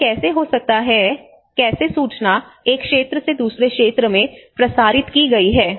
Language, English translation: Hindi, How it can, how the information has been disseminated from one area to another area